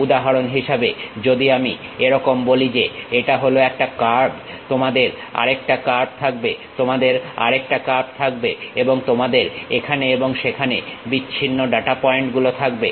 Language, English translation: Bengali, For example, like if I am saying something like this is one curve, you have another curve, you have another curve and you have isolated data points here and there